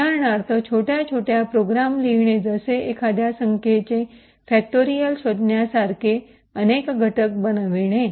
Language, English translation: Marathi, For example, to write small programs such as like factorizing a number of finding the factorial of a number, thank you